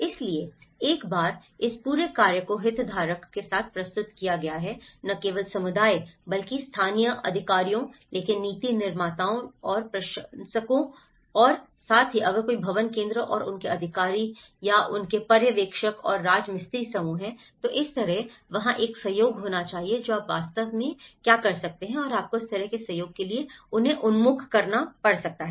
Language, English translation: Hindi, So, once this whole task has been presented with the stakeholder, not only the community but the local authorities but the policymakers but the administrators and as well as if there is any building centres and their authorities and their supervisors and the mason groups so, in that way, there should be a collaboration you can actually and you can have to orient them for that kind of collaboration